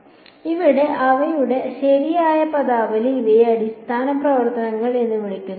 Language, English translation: Malayalam, So, these are the correct terminology for them these are called basis functions